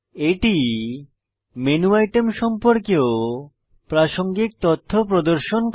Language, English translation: Bengali, It also displays contextual information about menu items